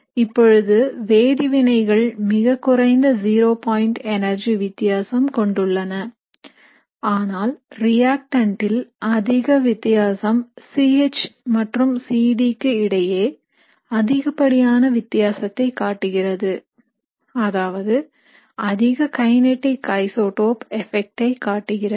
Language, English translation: Tamil, Now for reactions which involve a very small difference in zero point energy in the transition state, but a large difference in the reactant will show a maximum difference in activation energy between C H and C D, which means it will show you a maximum kinetic isotope effect